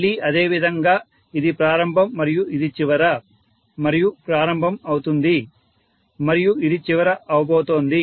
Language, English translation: Telugu, Again similarly, this is the beginning this is the end and this is going to be the beginning and this is going to be the end, right